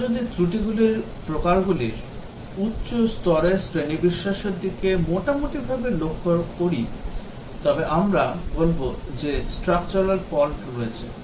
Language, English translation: Bengali, If we roughly look at the high level categorization of the types of faults, we will say that there are Structural Faults